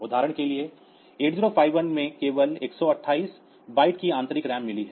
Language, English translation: Hindi, For example, 8 0 5 1 it has got only 128 bytes of RAM internal RAM